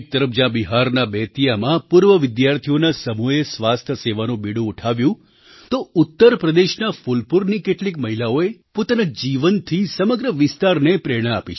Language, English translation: Gujarati, On one hand, in Bettiah in Bihar, a group of alumni took up the task of health care delivery, on the other, some women of Phulpur in Uttar Pradesh have inspired the entire region with their tenacity